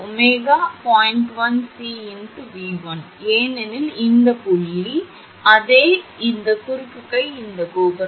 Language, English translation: Tamil, 1 C into your V 1 because this point, this point same, this is cross arm this tower